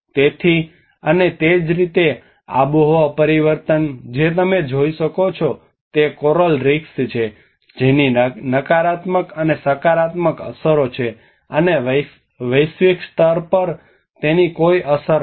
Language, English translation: Gujarati, So and similarly the climate change like what you can see is the coral reefs, which has a negative and positive impacts and no effect on the global level